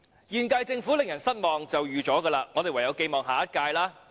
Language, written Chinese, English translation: Cantonese, 現屆政府令人失望，是預料中事，我們唯有寄望下一屆。, It is no surprise that the current - term Government is disappointing . We can only pin hopes on the next term